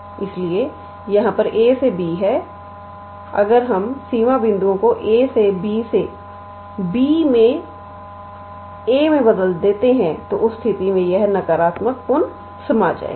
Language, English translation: Hindi, So, here we had a to b if we switch the limit points from a to b to b to a and in that case this minus will get reabsorbed